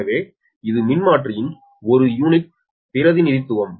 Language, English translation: Tamil, so per unit representation of transformer